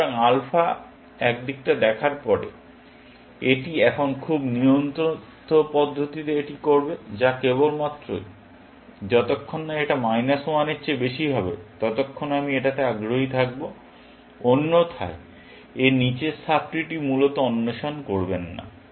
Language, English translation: Bengali, So, after alpha has seen one side, it will now do this in a very control fashion, which is only, as long as we have better than minus 1, I am going to be interested in you; otherwise, do not explore the sub tree below that, essentially